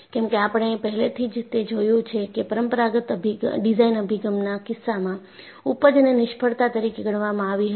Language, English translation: Gujarati, Because we have already seen, in the case of conventional design approach, yielding was considered as a failure